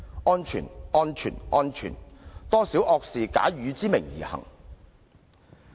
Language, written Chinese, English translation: Cantonese, "安全、安全、安全"，多少惡事假汝之名而行。, Safety safety safety how many crimes are committed in thy name!